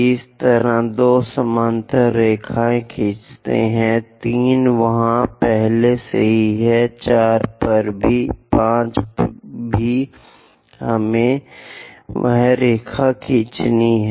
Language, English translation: Hindi, Similarly, a 2 draw a parallel line; 3 already there; at 4 also draw; 5 also we have to draw that line